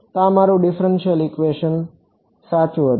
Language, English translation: Gujarati, So, this was my differential equation right